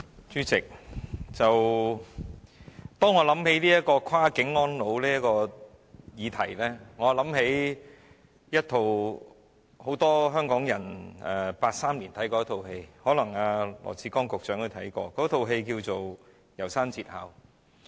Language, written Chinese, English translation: Cantonese, 主席，當我想到"跨境安老"的議題，我就想起一齣很多香港人在1983年看過的電影，可能羅致光局長也看過，那齣電影名為"楢山節考"。, President the motion on Cross - boundary elderly care reminds me of a popular movie screened in 1983 in Hong Kong and Secretary Dr LAW Chi - kwong might have watched it too